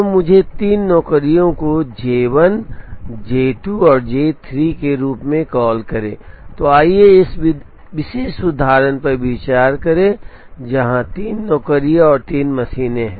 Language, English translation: Hindi, So, let me call the three jobs as J 1, J 2 and J 3, so let us consider this particular example, where there are three jobs and three machines